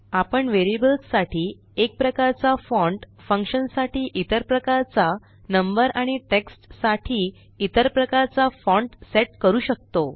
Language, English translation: Marathi, Notice the various categories here: We can set one type of font for variables, another type for functions, another for numbers and text